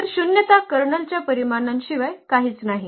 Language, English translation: Marathi, So, the nullity is nothing but the dimension of the kernel